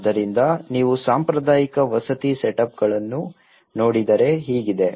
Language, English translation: Kannada, So, if you look at the traditional housing setups